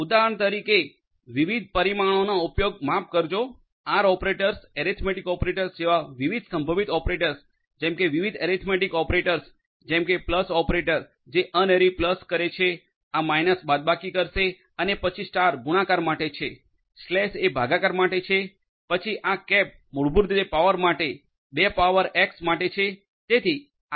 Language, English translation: Gujarati, For example, the use of different parameters sorry operators in R different operators such as arithmetic operators are possible operators such as different other different arithmetic operators such as the plus operator which will do the unary plus; unary plus, this minus will do the subtraction and then star is for multiplication, slash is for division then this cap is basically for power basically two to the power x will you know